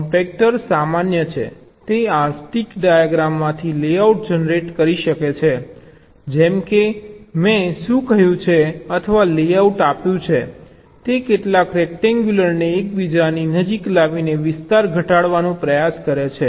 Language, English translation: Gujarati, it can generate the layout from this stick diagram also, like, like what i have said, or given a layout, it tries to reduce the area by bringing some rectangle closer to each other